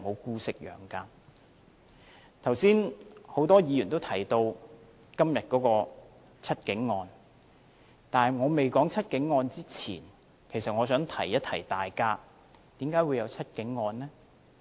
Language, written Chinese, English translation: Cantonese, 剛才有很多議員都提到今天判刑的"七警案"，在我未說"七警案"前，我想提醒大家為何會有"七警案"呢？, Many Members have spoken on the case of The Seven Cops the sentence of which will be meted out today . Before I speak further on the case of The Seven Cops I would like to give a reminder of why there was this case . It is because of Occupy Central